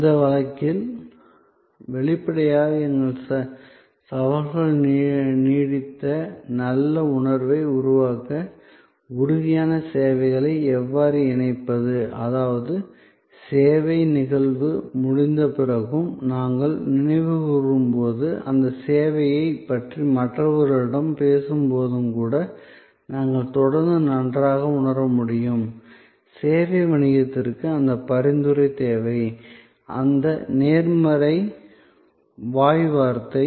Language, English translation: Tamil, In that case; obviously our challengers how to tangibles services to co create lingering good feeling; that means, we can continue to feel good, even after the service event is over and when we recall and when we talk to others about that service, the service business absolutely needs that referral; that positive word of mouth